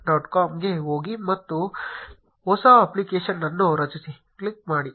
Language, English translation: Kannada, com and click on create new app